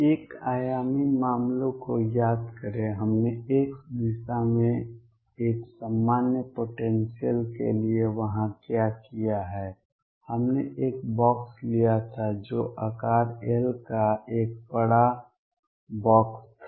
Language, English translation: Hindi, Recall the one dimensional cases, what we have done there for a general potential in x direction, we had taken a box which was a huge box of size l